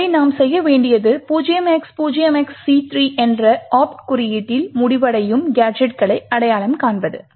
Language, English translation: Tamil, So, what we need to do is to identify gadgets which are ending with the opt code 0xc3